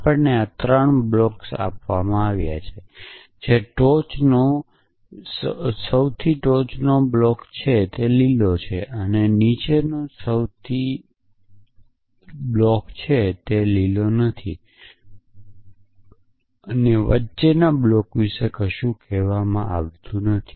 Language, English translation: Gujarati, Given to us is three blocks the top most block is green, the bottom most block is not green nothing is said about the block in between